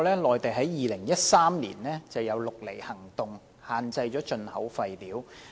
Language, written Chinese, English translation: Cantonese, 內地在2013年展開"綠籬行動"，限制進口廢料。, The Mainland launched the Operation Green Fence in 2013 to impose restrictions on importation of waste